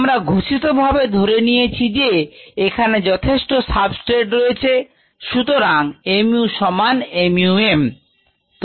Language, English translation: Bengali, ok, we had kind of tacitly assumed that a enough of substrate was present so that mu equals mu, m